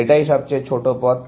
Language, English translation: Bengali, That is the shortest path